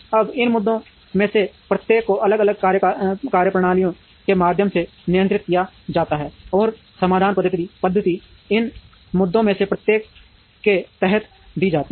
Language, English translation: Hindi, Now, each of these issues are handled through different methodologies, and these solution methodologies are given under each of these issues